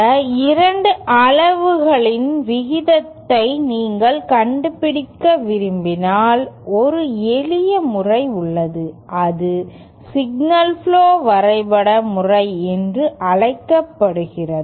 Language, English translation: Tamil, And if you want to find out the ratio of these 2 quantities, then there is a simpler method and that is called the signal flow graph method